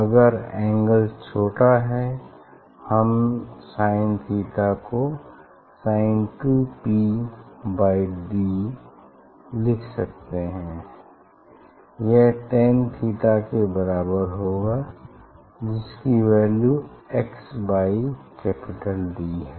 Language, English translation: Hindi, if; if angle is small, we can write sin theta equal to S 2 P by d equal to tan theta that is x by capital D, From there S 2 P equal to xd by d